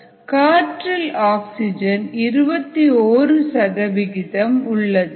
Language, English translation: Tamil, you have twenty one percent oxygen in the air